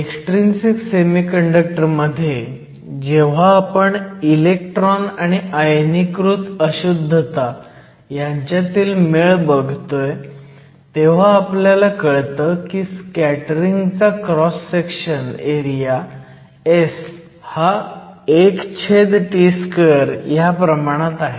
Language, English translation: Marathi, So, in the case of an extrinsic semiconductor, where we are looking at the interaction of the electrons with the ionized impurities, we find that the scattering cross section area S is proportional to T to the minus 2